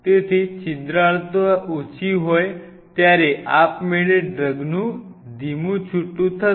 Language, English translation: Gujarati, So, the porosity is less then automatically the release of the drug will be slow